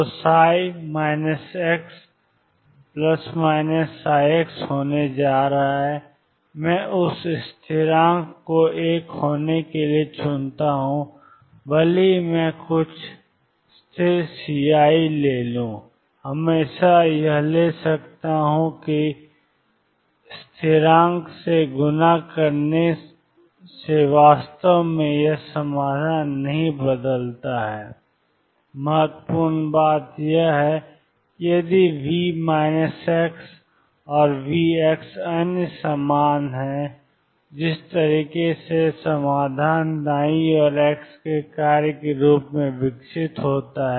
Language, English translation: Hindi, So, psi minus x is going to be plus or minus psi x, I choose that constant to be one even if I take to some constant c I can always take it that to be one multiplied by constant does not really change this solution, important thing is that if V minus x and V x other same then the way solution evolves as the function of x on the right hand sides